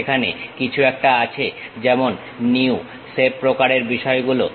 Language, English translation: Bengali, There is something like New, Save kind of things